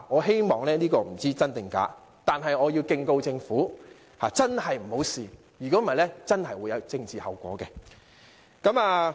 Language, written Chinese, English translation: Cantonese, 傳言不知真假，但我要敬告政府，真的不要嘗試，否則真的會有政治後果。, While there is no way to establish the validity of the rumour let me tell the Government that it must not attempt to do it or else political consequences would definitely follow